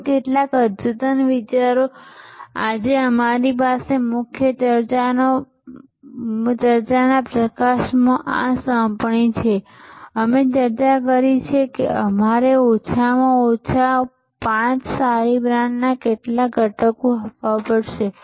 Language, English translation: Gujarati, And some advanced thought our main discussion today is this assignment in light of the points, that we discussed that you have to give me some elements of a good brand at least 5